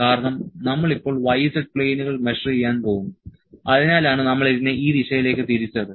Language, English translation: Malayalam, Because, we are going to measure now the y z planes that is why we have turned this to this direction